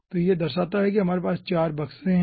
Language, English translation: Hindi, so this signifies we are having 4 boxes